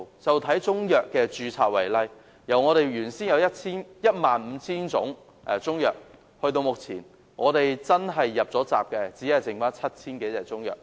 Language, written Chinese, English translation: Cantonese, 以中藥的註冊為例，原先有 15,000 種中藥，但至今"入閘"的只餘下 7,000 多種。, Speaking of the registration of Chinese medicine for example there were initially 15 000 types of Chinese medicine . But only 7 000 of them have managed to pass the threshold so far